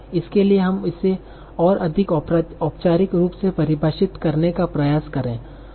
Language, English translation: Hindi, So for that let us try to define it more formally